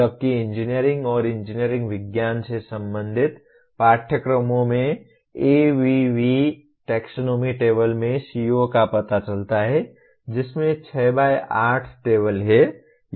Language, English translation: Hindi, Whereas in courses belonging to engineering and engineering sciences locate the COs in ABV taxonomy table which has 6 by 8 table